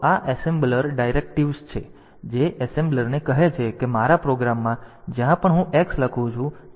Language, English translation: Gujarati, So, this is a assembler directive that tells the assembler that in my program wherever I am writing X you should replace it with 78